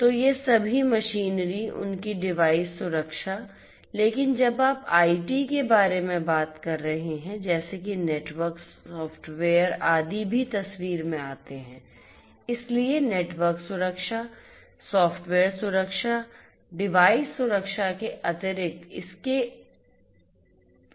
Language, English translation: Hindi, So, all these machinery, their device security, but when you talk about IT additional things such as the network, the software, etcetera also come into picture; so, network security, software security, addition additionally in addition to the device security are also important